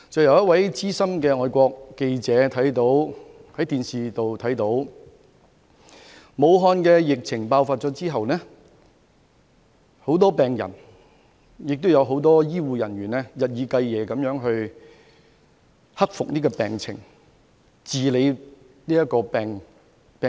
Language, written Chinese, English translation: Cantonese, 有一位資深外國記者在電視上看到武漢疫情爆發後，很多病人及醫護人員日以繼夜地希望克服病情，醫治病人。, A veteran foreign journalist saw on television that after the start of the outbreak in Wuhan many patients and health care workers crossed their fingers day and night that they could overcome the disease and cure the patients